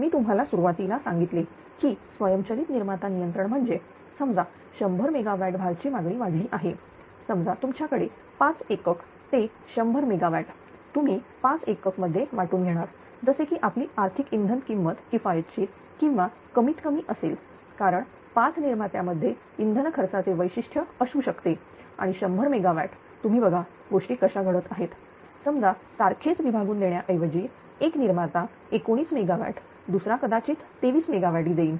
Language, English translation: Marathi, So, I told you at the beginning that automatic generation control means suppose one hundred megawatt one hundred megawatt ah load demand has increased suppose you have a 5 units that hundred megawatt you share among 5 units such that your economic ah your economic fuel fuel cost will be economical or minimum because 5 generators may have different fuel cost character and 100 megawatt you just ah just see that how things are happening